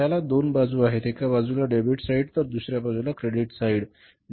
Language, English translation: Marathi, One side is called as the debit side, another side is called as the credit side